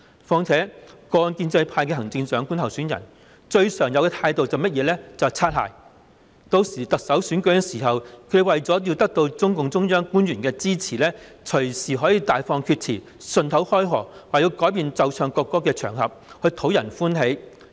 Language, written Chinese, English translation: Cantonese, 況且，過往建制派的行政長官候選人，最常見的態度就是"擦鞋"，日後選舉特首時，他們為了得到中共中央官員的支持，隨時可以大放厥詞，順口開河，說要改變奏唱國歌的場合，藉此討人歡心。, Moreover in the past candidates of the Chief Executive election from the pro - establishment camp would often engage in apple polishing . In the Chief Executive election in future they may talk a lot of nonsense and make a lot of commitments casually saying that the occasions on which the national anthem must be played and sung can be amended in order to win support of the officials of CPCs central authorities